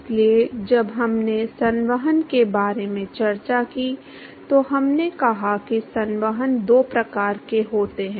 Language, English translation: Hindi, So, when I when we discussed about convection, we said there are two types of convection